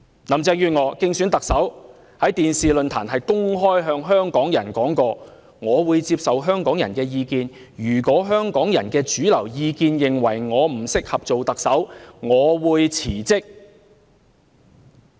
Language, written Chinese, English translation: Cantonese, 林鄭月娥在競選特首期間，曾在電視論壇上公開向香港市民表示，她會接受香港人的意見，如果香港的主流意見認為她不適合擔任特首，她便會辭職。, During the election of the Chief Executive Carrie LAM stated openly at the television forum to the people of Hong Kong that she would accept their views and that she would resign if the mainstream opinion of Hong Kong people renders her unsuitable to serve as Chief Executive